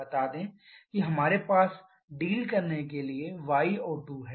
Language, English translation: Hindi, Let us say we have y O2 to be dealing with